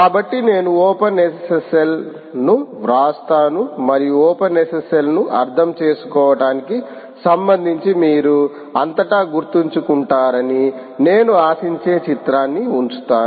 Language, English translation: Telugu, so i will write openssl, openssl, and i will put a picture which i expect that you will remember throughout ah, with respect to understanding openssl in